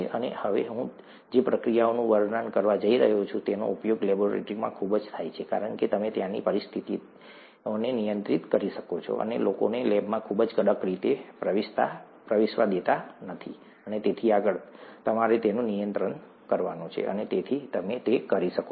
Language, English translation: Gujarati, And, the procedure that I’m going to describe now, is used heavily in labs, because you can control the conditions there and kind of not let people enter the lab very strictly and so on so forth, you have a control over that, and therefore you could do that